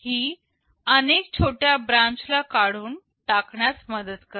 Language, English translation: Marathi, This helps in removing many short branches